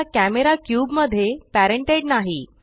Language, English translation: Marathi, The camera is no longer parented to the cube